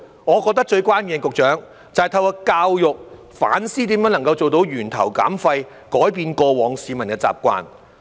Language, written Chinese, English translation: Cantonese, 我認為最關鍵的，局長，就是透過教育來反思如何做到源頭減廢，改變市民過往的習慣。, In my view Secretary the key is to have people reflect on waste reduction at source through education and change their old habits